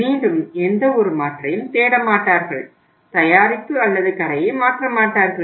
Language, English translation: Tamil, Again he or she will not look for any alternative, not substitute the product or the store